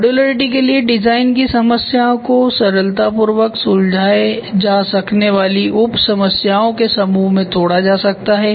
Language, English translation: Hindi, For modularity design problems can be broken into a set of easy to manage simpler sub problems